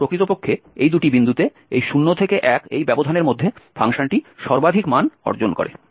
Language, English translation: Bengali, So, actually at these two points it achieves the maximum value over this range 0 to 1